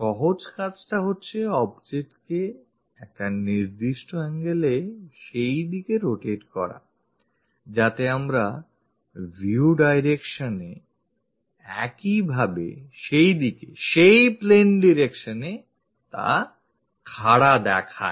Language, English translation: Bengali, The easy thing is rotate this object by certain angle in that direction so that it will be perpendicular to your view direction, in that direction into that plane direction